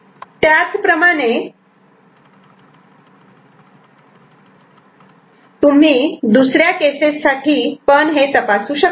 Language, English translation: Marathi, Similarly, you can check for the other cases also, right